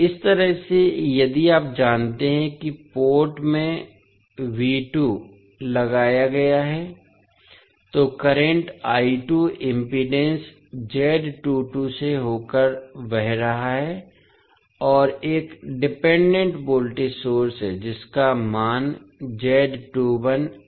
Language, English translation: Hindi, From this side, if you check that V2 is applied across the port, current I2 is flowing across the through the impedance Z22 and there is a dependent voltage source having value Z21 I1